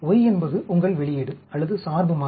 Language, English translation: Tamil, Y is your output, or the dependent variable